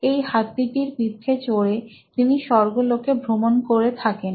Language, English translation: Bengali, This is the elephant that he rides all across the heavens